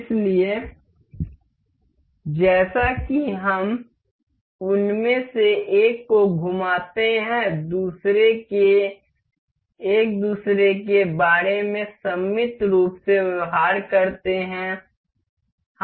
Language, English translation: Hindi, So, as we rotate one of them, the other one behave symmetrically about each other